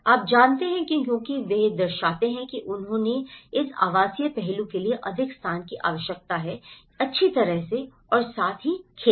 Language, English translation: Hindi, You know because now they reflect that they need more space for this residential aspect as well and as well as the farming